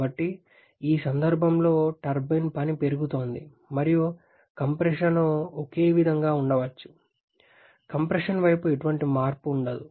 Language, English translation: Telugu, So, in this case the turbine work is increasing and the compression of may be remain in the same there is no change in the compression side